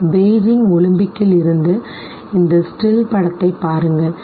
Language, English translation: Tamil, Look at this very still image from Beijing Olympics